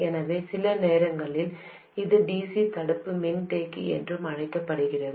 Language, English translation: Tamil, So sometimes this is also known as DC blocking capacitor